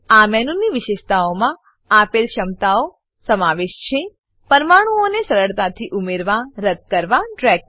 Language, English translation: Gujarati, Features of this menu include ability to * Easily add, delete, drag atoms